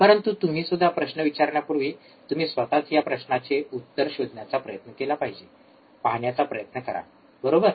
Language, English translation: Marathi, You bBefore you ask questions, you should try to answer this question by yourself, try to see, right